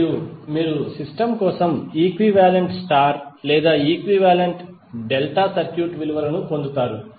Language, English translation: Telugu, And you will get the values of equivalent star or equivalent delta circuit for the system